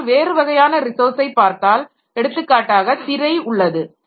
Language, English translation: Tamil, Whereas if you look into some other type of resource, for example the screen